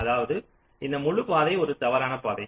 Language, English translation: Tamil, this means this is a false path